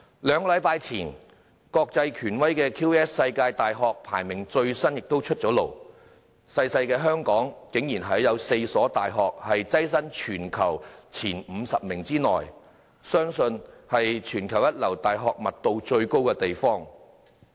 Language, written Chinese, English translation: Cantonese, 兩星期前，國際權威的 QS 世界大學排名最新名單出爐，小小的香港竟然有4所大學躋身全球前50名內，相信是全球一流大學密度最高的地方。, According to the latest internationally authoritative QS World University Rankings released two weeks ago such a tiny place as Hong Kong saw four of its universities placed in the top 50 universities in the world . The city is believed to be the place with the densest concentration of first - class universities in the world